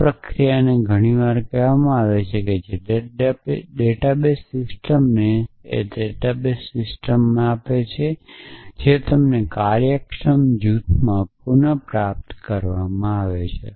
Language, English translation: Gujarati, This process is often called as which is more than what a database system give you database system gives you retrieval in an efficient faction